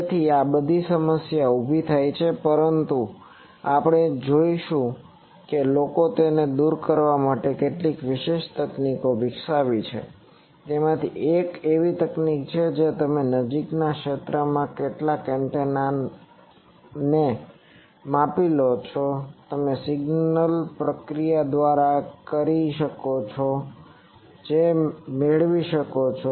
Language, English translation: Gujarati, So, all these poses problems but we will see that the people have developed some special techniques to overcome that, one of that is there is a technique that you measure some antenna in the near field, you can by signal processing you can get a near field to far field transform and you can predict what is the far field